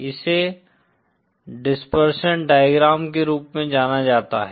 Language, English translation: Hindi, This is known as the dispersion diagram